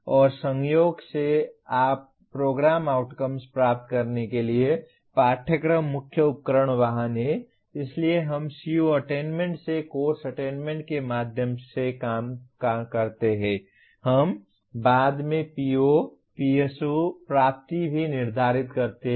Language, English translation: Hindi, And incidentally you as the courses are the main tools vehicles for attaining the program outcomes as well; so we work through from course attainment from CO attainments we also determine later the PO, PSO attainment as well